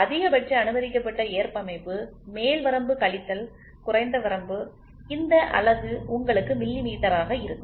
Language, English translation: Tamil, The maximum permissible tolerance is upper limit minus lower limit giving you this unit will be millimeters, ok